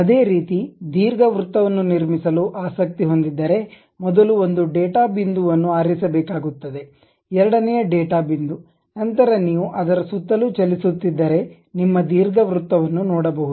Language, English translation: Kannada, Similarly, if one is interested in constructing an ellipse first one data point one has to pick, second data point, then if you are moving it around you will see the ellipse